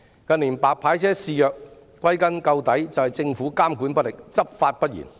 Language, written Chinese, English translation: Cantonese, 近年"白牌車"肆虐，歸根究底是政府監管不力，執法不嚴。, The infestation of white licence cars service in recent years is attributed to the ineffective monitoring and lax enforcement by the Government